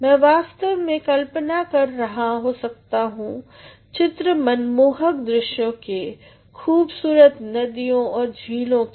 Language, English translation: Hindi, I would actually be fancying of pictures scenery of beautiful rivers and lakes